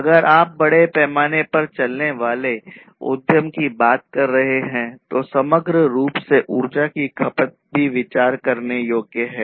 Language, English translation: Hindi, So, you know if you are talking about large scale enterprises there is a consideration of the energy; energy consumption as a whole